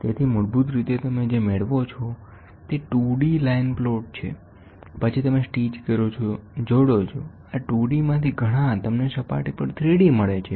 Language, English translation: Gujarati, So, basically what do you get is a 2D line plot, then you stitch, join, several of this 2D, you get a 3D on a surface